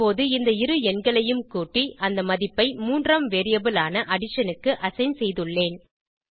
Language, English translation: Tamil, Now I added these two numbers and assign the value to a third variable named addition